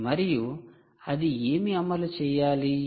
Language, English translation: Telugu, and what should it run